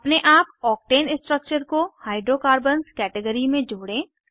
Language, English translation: Hindi, Add Octane structure to Hydrocarbons category, on your own